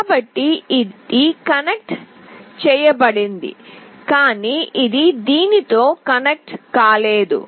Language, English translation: Telugu, So, this is connected, but this is not connected with this one